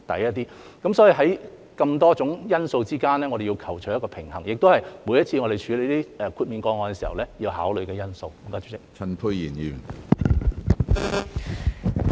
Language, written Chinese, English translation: Cantonese, 所以，在眾多因素之間，我們要求取一個平衡，這也是我們每次處理豁免個案時要考慮的因素。, Therefore we have to strike a balance among a number of factors which is also a factor that we have to consider every time when handling an exemption case